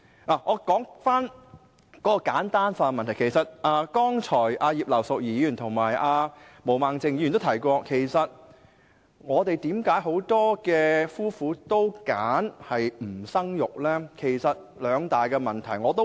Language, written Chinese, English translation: Cantonese, 讓我先說說簡單化的問題，剛才葉劉淑儀議員和毛孟靜議員均提到為何香港很多夫婦也選擇不生育，其實關乎兩大問題。, Earlier on both Mrs Regina IP and Ms Claudia MO mentioned why many couples in Hong Kong chose not to have children . It actually boils down to two major issues